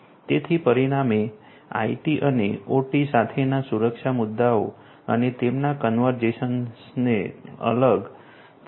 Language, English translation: Gujarati, So, consequently one needs to consider the security issues with IT and OT and their convergence separately